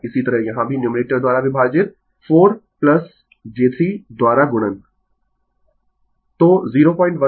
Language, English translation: Hindi, Similarly, here also numerator divide by , multiplied by 4 plus j 3